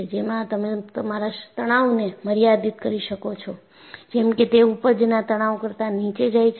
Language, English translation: Gujarati, So, you limit your stresses, such that, they are well below the yield stress